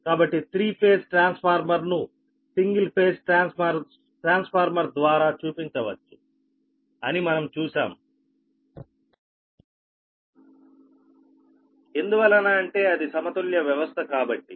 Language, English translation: Telugu, so we have seen that a three phase transformer can be represented by: is a c or single phase transformer because it is balance